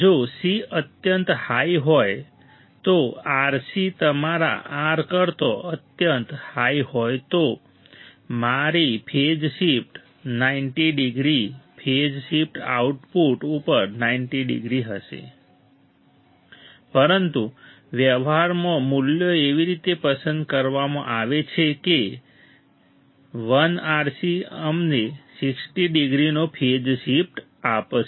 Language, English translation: Gujarati, If c is extremely high then RC is extremely high than your R then my phase shift would be 90 degree phase shift would be 90 degrees at the output, but in practice the values are selected such that 1 RC will provide us phase shift of 60 degrees